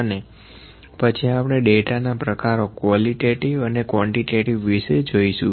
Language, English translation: Gujarati, And then we will discuss about the types of data qualitative versus quantitative data